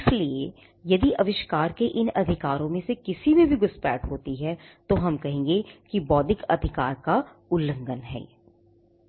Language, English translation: Hindi, So, if there is intrusion into any of these rights the invention, then we would say that there is an infringement of the intellectual property right